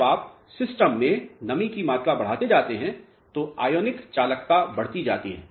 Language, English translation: Hindi, When you add more and more moisture into the system the ionic conductivity increases alright